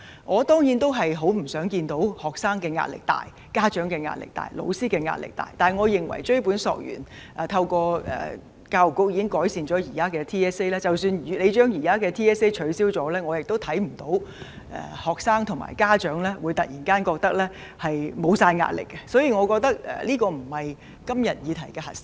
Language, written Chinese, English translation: Cantonese, 我當然不願看到學生壓力大、家長壓力大、老師壓力大，但追本索源，透過教育局的工作，現時的全港性系統評估已經改善，而即使取消了現時的 TSA， 我亦看不見學生及家長會突然覺得沒有壓力，所以我覺得這不是今天這個議題的核心。, I certainly do not want to see students parents and teachers suffering from immense pressure; yet tracing to the root of the problem the Territory - wide System Assessment TSA has now been improved with the effort made by the Education Bureau . Even if the current TSA is cancelled I fail to see that students and parents will suddenly become pressure - free . I thus think this is not the crux of the subject today